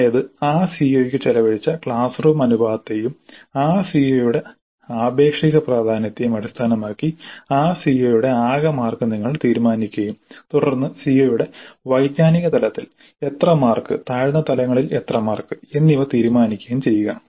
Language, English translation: Malayalam, That means based on the proportion of classroom hours spent to that COO and the relative to importance of that CO you decide on the total marks for that COO and then decide on how many marks at the cognitive level of the COO and how many marks at lower levels